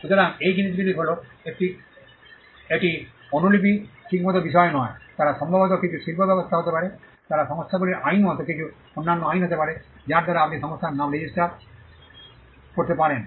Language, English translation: Bengali, So, those things are it is not subject matter of copy right, they maybe some industry arrangement they may be some other statutes like the companies act, by which you can register company names